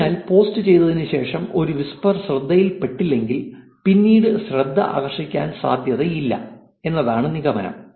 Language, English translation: Malayalam, So, essentially the conclusion is that if a whisper does not get attention shortly after posting, it is unlikely to get attention later